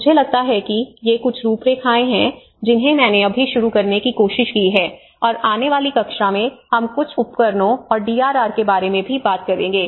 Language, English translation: Hindi, I think these are a few frameworks I just tried to introduce and in the coming class we will also talk about a few tools and DRR